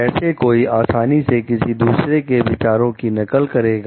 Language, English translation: Hindi, How read readily one should copy the ideas of others